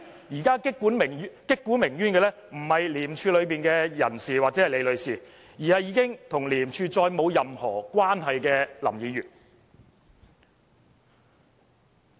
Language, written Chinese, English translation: Cantonese, 現在擊鼓鳴冤的人不是廉署內的人士或李女士，而是已經與廉署再沒有任何關係的林議員。, The one who is seeking redress is neither Ms LI nor anyone from ICAC but Mr LAM who no longer has any connection with ICAC